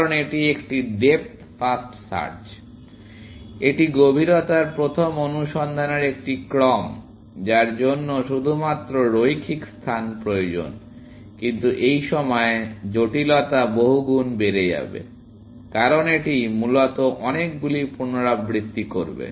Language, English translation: Bengali, Because it is a depth first search; it is a sequence of depth first searches, which only requires linear space, but its time complexity is going to go up, by many times, because it will do many iterations, essentially